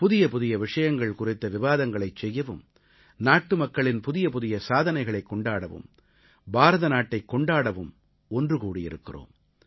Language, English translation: Tamil, This is to discuss newer subjects; to celebrate the latest achievements of our countrymen; in fact, to celebrate India